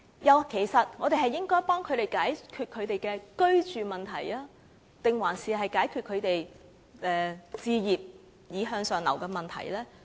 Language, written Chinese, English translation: Cantonese, 我們其實應該幫助市民解決居住問題，還是幫助他們置業從而向上流呢？, Should we actually help members of the public resolve their housing problems or should we help them buy their homes to facilitate upward movement?